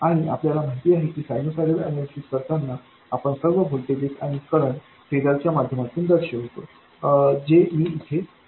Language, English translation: Marathi, And we know that while doing sinusoidal analysis we represent all voltages and currents by phasers